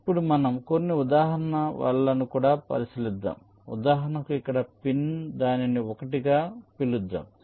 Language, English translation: Telugu, lets now also consider some example nets, like, for example, ah pin here lets call it one